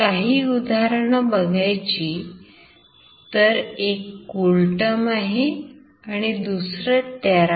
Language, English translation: Marathi, These are some example, one is CoolTerm, one is TeraTerm, we will be working with CoolTerm